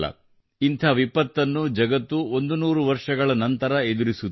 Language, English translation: Kannada, This type of disaster has hit the world in a hundred years